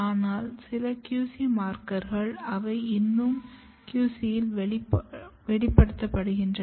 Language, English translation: Tamil, But this is not always some of the QC markers they still get expressed in the QC